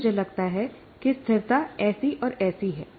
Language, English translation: Hindi, Now I think stability is, is